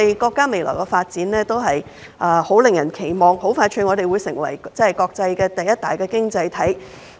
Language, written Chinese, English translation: Cantonese, 國家未來的發展是很令人期望的，我們很快便會成為國際第一大經濟體。, The future development of the country is promising and we will soon become the largest economy in the world